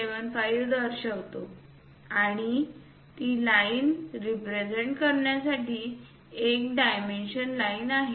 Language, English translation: Marathi, 75 as the basic dimension and there is a dimension line to represent the line